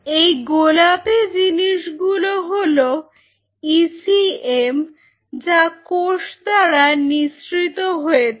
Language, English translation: Bengali, These pink what you are seeing are the ACM secreted by the cell